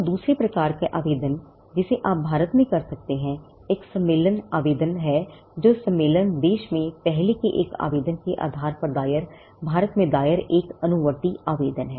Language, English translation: Hindi, So, the second type of application that you can file in India is a convention application, which is nothing, but a follow application filed in India, based on an earlier application that was filed in a convention country